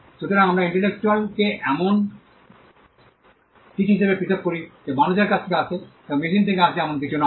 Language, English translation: Bengali, So, we distinguish intellectual as something that comes from human being, and not something that comes from machines